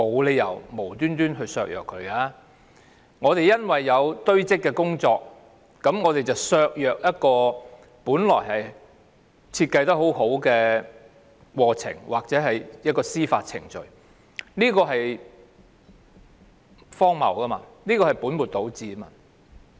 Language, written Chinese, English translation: Cantonese, 司法機構須處理的案件堆積如山，削弱了本來設計得非常好的司法程序，這是荒謬和本末倒置的。, The backlog of cases to be handled by the Judiciary has undermined the judicial processes which were originally well - designed . This is absurd as the Administration is putting the cart before the horse